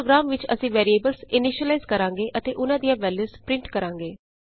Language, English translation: Punjabi, In this program we will initialize the variables and print their values